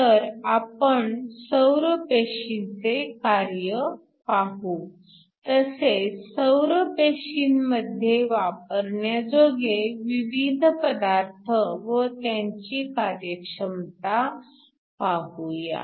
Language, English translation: Marathi, So, we will look at the working of a solar cell and also some of different materials and efficiencies when we use them in the solar cell